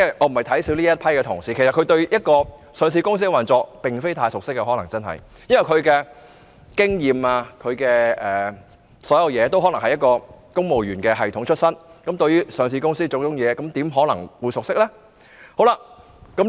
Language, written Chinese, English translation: Cantonese, 我並非小看這批同事，但他們可能對上市公司的運作真的不太熟悉，因為他們的工作經驗等全來自公務員系統，對於上市公司的種種運作又怎可能熟悉呢？, I am not belittling these officers but they may be rather unfamiliar with the operation of a listed company indeed . Given that their working experience all comes from the civil service system how can they possibly be familiar with the various business operations of a listed company?